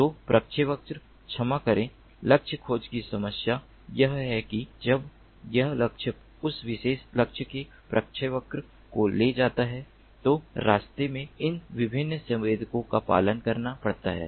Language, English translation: Hindi, so the problem of trajectory ah sorry, target tracking is that when this target moves, the trajectory of that particular target has to be followed by these different sensors on the way